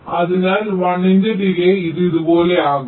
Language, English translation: Malayalam, so after delay of one, this will come here